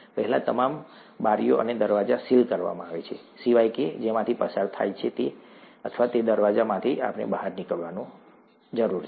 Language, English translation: Gujarati, First all the windows and doors are sealed except the passage through, or the door through which we need to get out